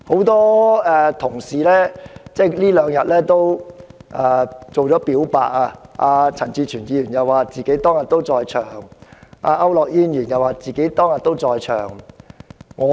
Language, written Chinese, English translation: Cantonese, 多位議員近日已"表白"，例如陳志全議員指出他自己當天也在場，而區諾軒議員也表示自己當天也在場。, Many Members have come clean with us lately one example being Mr CHAN Chi - chuen . He has pointed out that he was also present at the scene that day so has Mr AU Nok - hin